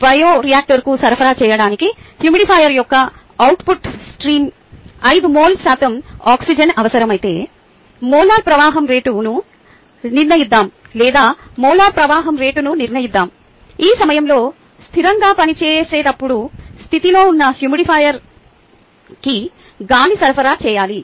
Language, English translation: Telugu, if five mole percent of oxygen are needed in the output stream of the humidifier to supply to the bioreactor, let us determine the molar flow rate, or determine the molar flow rate at which air should be supplied to the humidifier ah when it operates at steady state